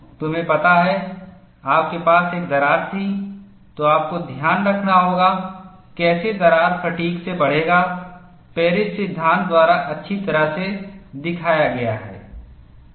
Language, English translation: Hindi, You know, you will have to keep in mind, once you have a crack, how the crack would grow by fatigue is well represented by Paris law